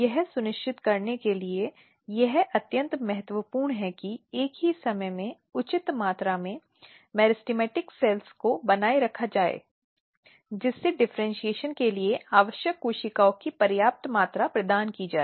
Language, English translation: Hindi, This is extremely important to ensure that a proper amount of meristematic cells are maintained at the same time sufficient amount of cells required for the differentiation should be provided